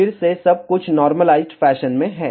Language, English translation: Hindi, Again everything is in the normalized fashion